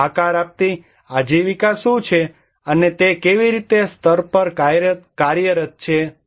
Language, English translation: Gujarati, And what are the shaping livelihoods and how they are operating at levels